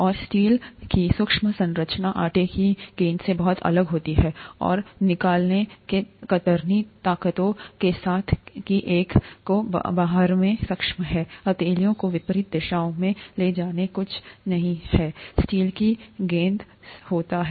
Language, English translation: Hindi, And the microscopic structure of steel is very different from that of the dough ball, and with the shear forces that one is able to exert, just by moving the palms in opposite directions, nothing happens to the steel ball